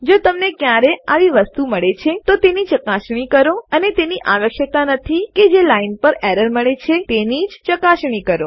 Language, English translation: Gujarati, If you ever get things like that, just check and dont necessarily check the line that the error has been returned on